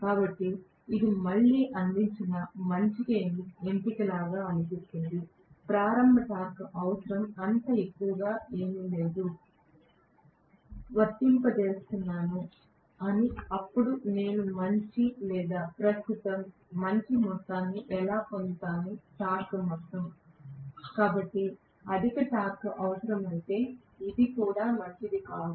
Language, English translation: Telugu, So this sounds like a good option provided again the starting torque requirement is not so high, the starting torque requirement if it is high, again I am applying only lower value of voltage, then how will I get really a good amount of current or good amount of torque, so this also definitely not good for, if high torque is required